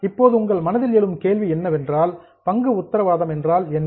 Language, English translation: Tamil, Now the question which will arise in your mind is what is a share warrant